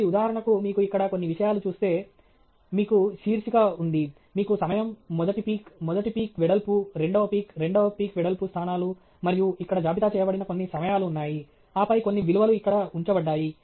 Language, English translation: Telugu, So, for example, if you see here, somethings are ok; you do have heading, you have a time, first peak, first peak width, second peak, second peak width positions here, and some timing listed here, and then some values put down here